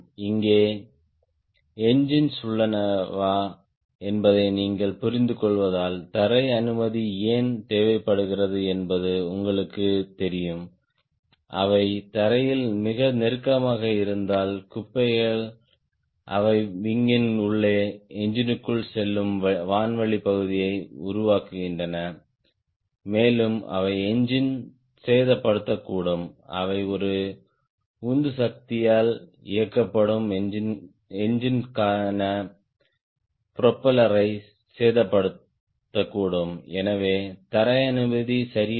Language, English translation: Tamil, you know why grand crew is also required, because you understand if their engines are here, if they are too close to the ground in the debri form, the air sheet, they go inside the wing, inside the engine, and they may damage the engine, right, they may damage the propeller for a propeller driven engine